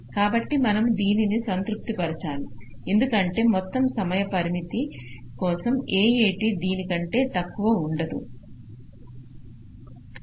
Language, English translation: Telugu, so we will have to satisfy this because for whole time constraints, a, a, t can never be less then this